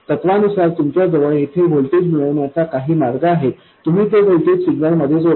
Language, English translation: Marathi, In principle, you have some way of getting a voltage here, you add that voltage to the signal